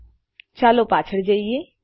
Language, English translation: Gujarati, Oh lets go back